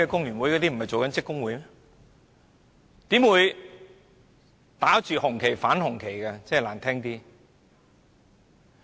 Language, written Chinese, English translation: Cantonese, 難聽點說，怎會打着紅旗反紅旗呢？, How come it flaunts the red flag to oppose the red flag?